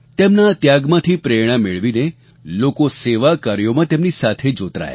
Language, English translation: Gujarati, Getting inspiration from her sacrifice, people came forward and joined her